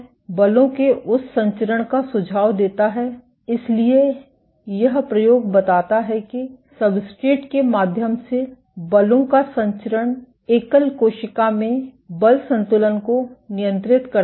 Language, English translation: Hindi, Suggesting that transmission of forces, so this experiment suggests that transmission of forces through substrate regulates the force balance in a single cell